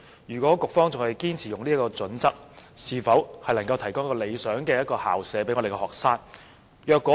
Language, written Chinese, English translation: Cantonese, 如局方仍堅持採用這個準則，恐怕未能為學生提供一個理想的學習環境。, If the Education Bureau continues to adopt this criterion students may not be provided with a satisfactory learning environment